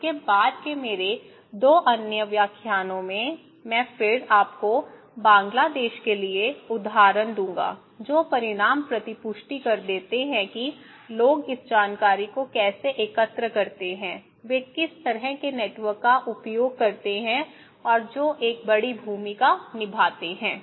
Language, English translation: Hindi, In my 2 other lectures next to that, I would then give you the examples for Bangladesh, the results that feedbacks that how people collect this information, what kind of networks they use and who play a bigger role, okay